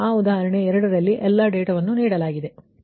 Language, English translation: Kannada, so all data in that example two are given right